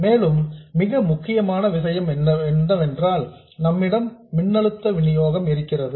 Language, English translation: Tamil, And finally, a very important thing, we have the supply voltage